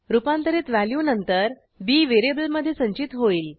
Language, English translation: Marathi, The converted value is then stored in the variable b